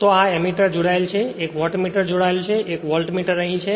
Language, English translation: Gujarati, So, this is the Ammeter is connected 1 Wattmeter is connected and 1 Voltmeter is here